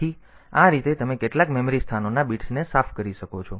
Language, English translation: Gujarati, So, this way you can clear the bits of some memory locations